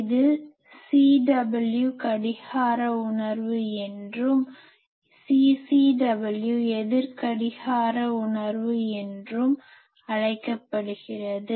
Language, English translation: Tamil, So, this gives us the sense; so this one is called CW clockwise sense; this is called CCW; counter clockwise sense